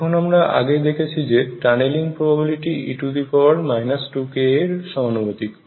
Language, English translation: Bengali, Now as I showed you earlier that the tunneling probability is proportional to minus 2 k a